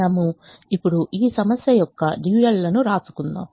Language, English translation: Telugu, now we now write the dual of this problem